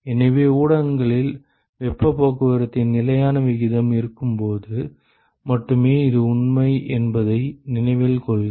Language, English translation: Tamil, So, note that this is true only when there is constant rate of heat transport in the media